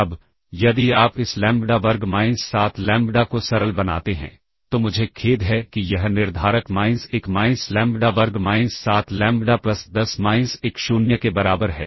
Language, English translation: Hindi, This implies now if you simplify this lambda square minus 7 lambda, I am sorry this determinant is minus 1 minus lambda square minus 7 lambda plus 10 minus 1 equal to 0